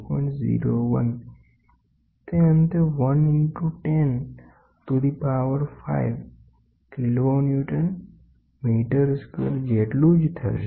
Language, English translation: Gujarati, 01 which is nothing but 1 into 10 to the power 5 kiloNewton meter square, ok